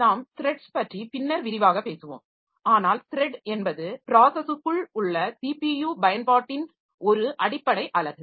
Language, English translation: Tamil, We'll be talking about thread in more detail later but thread is a basic unit of CPU utilization within a process